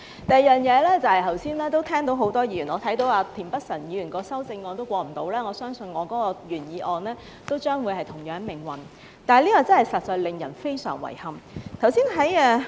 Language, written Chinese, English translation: Cantonese, 第二，剛才我看到田北辰議員的修正案都不能通過，我相信我的原議案都將會是同樣命運，這實在令人非常遺憾。, Second I notice that Mr Michael TIENs amendment has not been passed by this Council just now . I believe my original motion will have the same fate . This is regrettable indeed